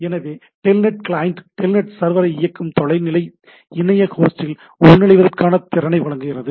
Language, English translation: Tamil, So, Telnet client provides ability to log into a remote internet host that is running a Telnet server